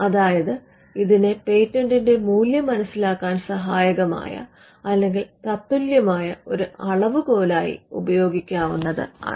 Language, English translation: Malayalam, So, the it is an equivalent for or it could be used as a measure for understanding the value of a patent